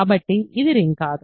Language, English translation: Telugu, So, this is not ring